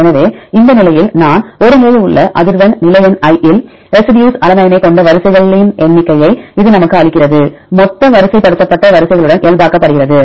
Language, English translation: Tamil, So, frequency of this a at the position i this is given us number of sequences having the residue alanine at position number i, normalized with total number of aligned sequences